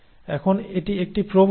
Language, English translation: Bengali, Now that is a tendency